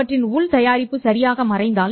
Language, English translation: Tamil, If their inner product vanishes, right